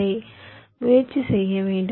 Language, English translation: Tamil, you have to try it out